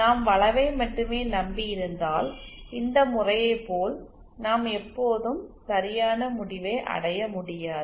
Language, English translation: Tamil, If we just relied on the curvature we may not always reach the correct result as in this case